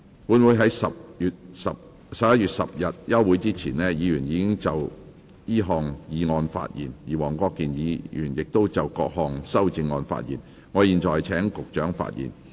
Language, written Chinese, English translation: Cantonese, 本會在11月10日休會前，議員已就此項議案發言，而黃國健議員亦已就各項修正案發言，我現在請局長發言。, Prior to the adjournment of the Council on 10 November Members had spoken on the motion and Mr WONG Kwok - kin had spoken on the amendments I now call upon the Secretaries to speak